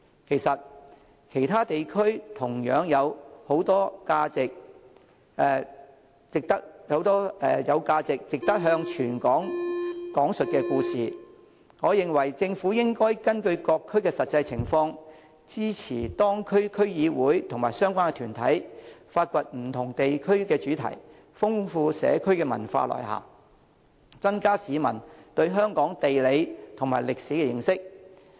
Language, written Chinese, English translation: Cantonese, 其實，其他地區同樣有很多值得向全港講述的故事，我認為政府應該根據各區實際情況，支持當區區議會及相關團體，發掘不同的地區主題，豐富社區文化內涵，增加市民對香港地理及歷史的認識。, As a matter of fact equally interesting stories that are worth sharing can also be found in other districts of Hong Kong . I hold that the Government should support the District Councils and relevant organizations to explore the development of different themes in the districts taking into account their actual circumstances so as to enrich the cultural contents of the communities while enhancing the publics understanding of Hong Kongs geography and history